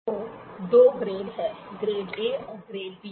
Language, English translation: Hindi, So, there are two grades; grade A and grade B